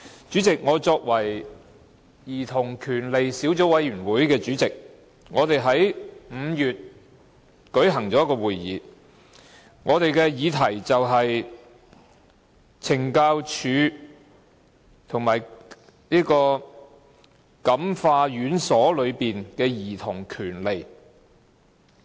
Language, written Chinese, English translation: Cantonese, 主席，我是兒童權利小組委員會主席，我們在5月舉行了一個會議，我們的議題是"感化院舍及懲教所內的兒童權利"。, President I am the Chairman of the Subcommittee on Childrens Rights . We held a meeting in May and our topic was Rights of children in Correctional Home and Correctional Institution